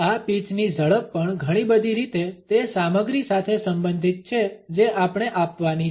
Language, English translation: Gujarati, The speed of this pitch is also related in many ways with the content we have to deliver